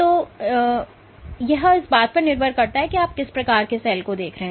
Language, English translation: Hindi, So, it depends on where what type of cell you are looking at